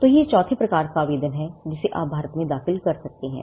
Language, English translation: Hindi, So, that is the fourth type of application you can file in India